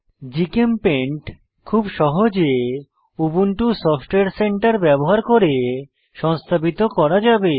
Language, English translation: Bengali, GChemPaint can be very easily installed using Ubuntu Software Center